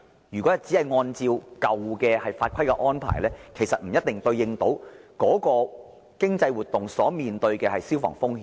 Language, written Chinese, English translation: Cantonese, 如果當局只是按照舊法規來應對新的商業活動，則未必能夠處理相關的消防風險。, It may not be possible for the authorities to address fire safety risks if they always stick to the out - dated rules and regulations to deal with new commercial activities